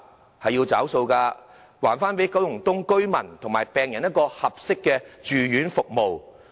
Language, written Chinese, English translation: Cantonese, 政府要"找數"了，還九龍東居民和病人合適的住院服務。, It is time for the Government to honour its promise to give appropriate inpatient services to residents and patients of Kowloon East